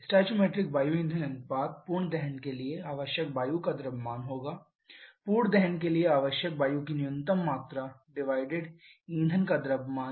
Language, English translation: Hindi, Stoichiometric air fuel ratio will be the mass of air required to have complete combustion, a minimum amount of mass are required to have complete combustion divided by the mass of fuel